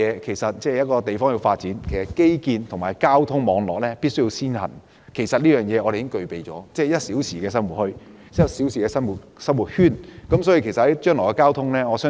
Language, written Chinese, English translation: Cantonese, 其實，一個地方要發展，基建及交通網絡必須先行，我們已經具備這優勢，我們的 "1 小時生活圈"可紓緩將來的交通需求。, In order to develop a place we must develop its infrastructure and transport network first . We already possess this edge . Our one - hour living circle can alleviate our future transport demand